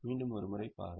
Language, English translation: Tamil, Just have a look once again